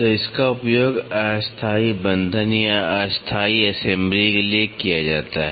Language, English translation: Hindi, So, this is used for temporary fastening or temporary assembly